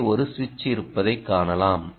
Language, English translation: Tamil, you can see that there is a switch here, right